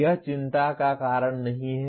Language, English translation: Hindi, That need not be reason for worry